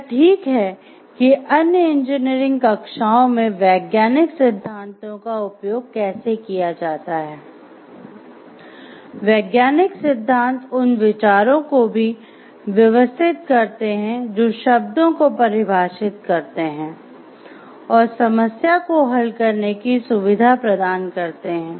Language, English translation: Hindi, Thus it is exactly how the scientific theories are used in other engineering classes, scientific theories also organize ideas, define terms and facilitate problem solving